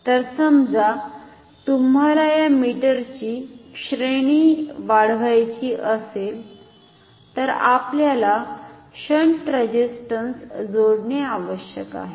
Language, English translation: Marathi, So, suppose you want to increase the range of this meter we have to connect a shunt resistance